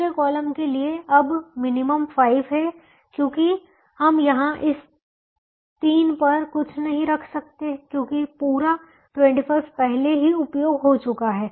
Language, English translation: Hindi, for the second column, the minimum is now five because we cannot put anything in this three